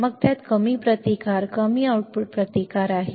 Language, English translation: Marathi, Then it has low resistance low output resistance